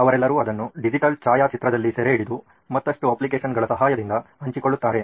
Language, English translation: Kannada, They are all capturing it digitally on photograph, another applications and sharing